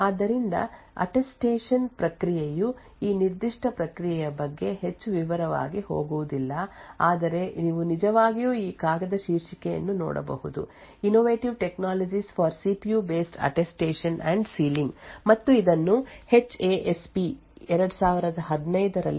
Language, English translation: Kannada, So, the Attestation process is will not go into too much detail about this particular process but you could actually look at this paper title Innovative Technologies for CPU based Attestation and Sealing and this was published in HASP 2015, thank you